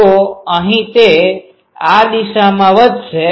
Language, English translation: Gujarati, So, at here it will be increasing in this direction